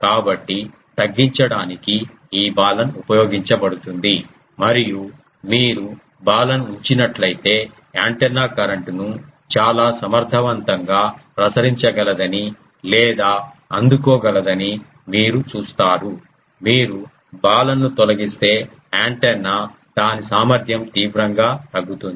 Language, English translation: Telugu, So, to reduce that the Balun is used and if you put the Balun you will see that the antenna can radiate or receive the current um quite efficiently, if you remove the Balun the antenna won't be its efficiency will drastically go down